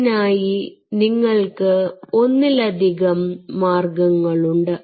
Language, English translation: Malayalam, so there are multiple ways by which you can do it